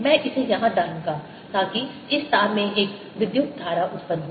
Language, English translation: Hindi, i'll put this here so that there is an current produce in this wire